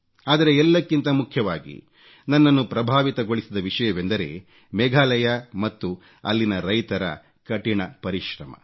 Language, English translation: Kannada, But one thing that impressed me most was Meghalaya and the hard work of the farmers of the state